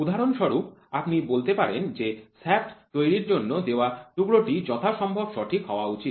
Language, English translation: Bengali, For example, you might say the work piece which is given for producing a shaft should be as precise as possible fine